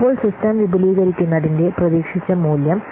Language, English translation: Malayalam, So now the expected value of extending the system is found out by what